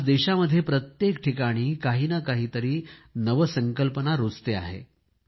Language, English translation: Marathi, Today, throughout the country, innovation is underway in some field or the other